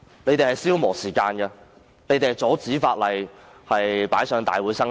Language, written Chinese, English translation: Cantonese, 他們是在消磨時間，阻止法案提交立法會通過。, They merely sought to prolong the discussion time to prevent the tabling of the bill to this Council for passage